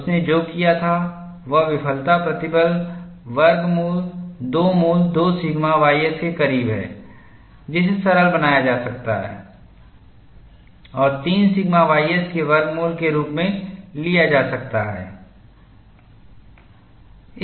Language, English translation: Hindi, Irwin made estimate, what you have done was the failure stress is closer to square root of 2 root 2 sigma ys, which could be simplified and taken as square root of 3 sigma ys